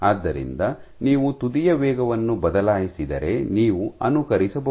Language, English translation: Kannada, So, if you change the tip speed you can simulate